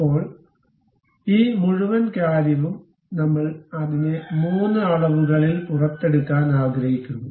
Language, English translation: Malayalam, Now, this entire thing, we would like to extrude it in 3 dimensions